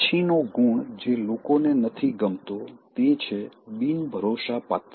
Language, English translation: Gujarati, The next thing, that people don’t like is being undependable